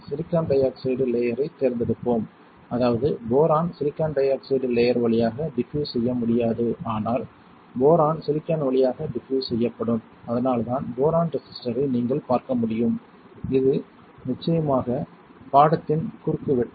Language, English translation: Tamil, We will select silicon dioxide layer such that the boron cannot diffuse through silicon dioxide layer, but boron can diffuse through silicon and that is why you can see a boron resistor alright this is the cross section of course